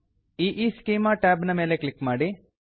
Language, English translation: Kannada, Click on the EEschema to place it